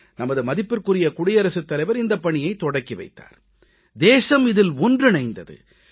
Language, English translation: Tamil, Our Honourable President inaugurated this programme and the country got connected